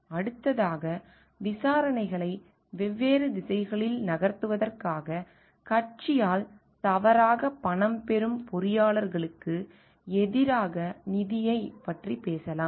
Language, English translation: Tamil, Next is we can talk of financial versus engineers, who are paid by the party at fault to move the investigations in different directions